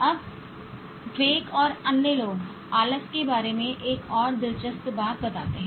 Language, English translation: Hindi, Now, Dweck and others also point out another interesting thing about laziness